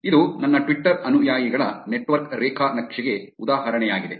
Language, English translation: Kannada, This is an example of my Twitter followees network graph